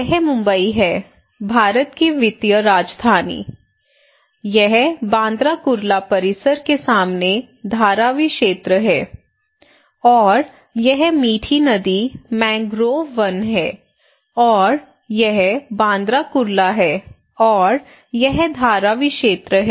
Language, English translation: Hindi, This is Mumbai, the financial capital of India, this is also Mumbai at Dharavi area close opposite to Bandra Kurla complex, and this is Mithi river, mangrove forest and this is Bandra Kurla and this is Dharavi areas okay, this is our study area